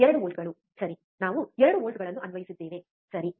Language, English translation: Kannada, 2 volts, alright so, we applied 2 volts, alright